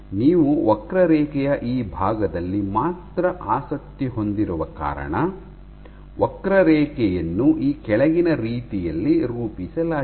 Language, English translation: Kannada, So, because you are only interested in this portion of the curve, the curve is plotted in the following way